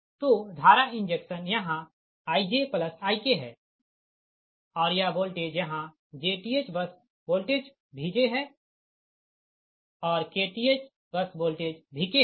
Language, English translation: Hindi, so current injection here is i j plus i k and this voltage here, here j th bus voltage is v j and k th bus voltage is v k, right